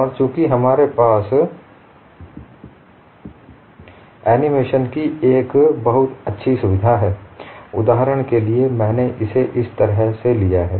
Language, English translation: Hindi, And since we have a nice facility for animation for illustration I have taken it like this